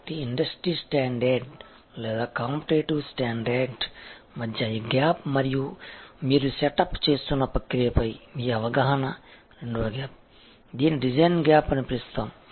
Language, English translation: Telugu, So, this gap between industry standard or competitive standard and your perception of what you want the process that you are setting up is the second gap, what we called design gap